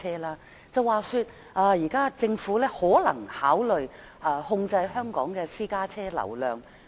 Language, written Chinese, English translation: Cantonese, 聽聞現時政府可能考慮控制香港的私家車流量。, I learn that at present the Government may consider controlling the traffic flow of private cars in Hong Kong